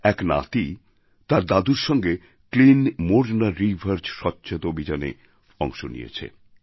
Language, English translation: Bengali, The photo showed that a grandson was participating in the Clean Morna River along with his grandfather